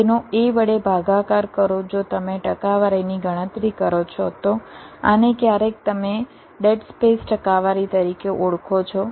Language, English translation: Gujarati, if you calculate the percentage this sometimes you call it as dead space percentage